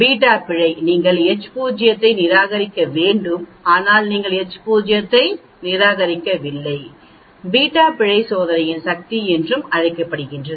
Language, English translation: Tamil, Whereas the beta error you have to reject H0 but you do not reject H0 and that is also called the power of the test, the beta error is also called the power of the test